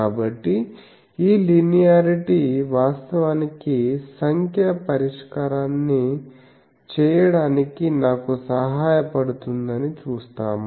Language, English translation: Telugu, So, this linearity actually will help me to make the numerical solution that we will see